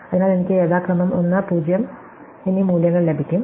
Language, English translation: Malayalam, So, I will get those values 1 and 0 respectively